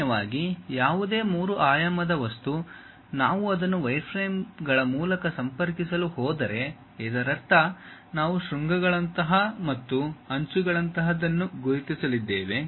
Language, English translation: Kannada, Usually any three dimensional object, if we are going to connect it by wireframes; that means, we are going to identify something like vertices and something like edges